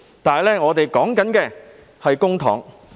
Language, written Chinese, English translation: Cantonese, 然而，我們談的是公帑。, However we are talking about public money